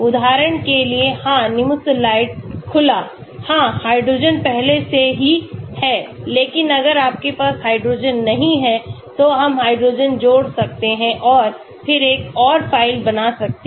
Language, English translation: Hindi, For example, yeah Nimesulide open, yeah hydrogen is already there but if you do not have hydrogen then we can add hydrogen and then create another file